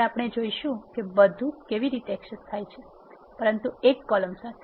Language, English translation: Gujarati, Next we will see how do access everything, but one column